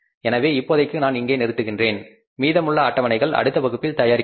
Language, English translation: Tamil, So, for the moment I stop here and the remaining schedules we will prepare in the next class